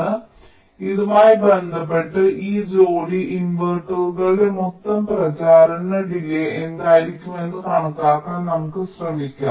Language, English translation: Malayalam, so with respect to this, let us try to estimate what will be the total propagation delay of this pair of inverters